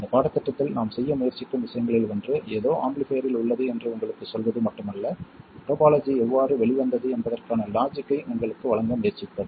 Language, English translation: Tamil, We will see these things later in the course and one of the things that we try to do in this course is not only tell you that something is an amplifier but try to give you the logic of how the topology came about